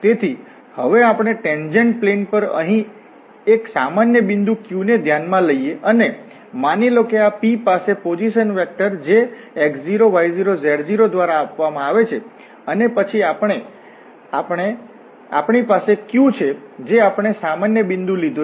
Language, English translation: Gujarati, So, consider a general point here Q on the tangent plane now, and suppose this P has a position vector which is given by this x0, y0 and z0 and then we have a Q we have taken a general point this Q there, which can be given by this x, y, z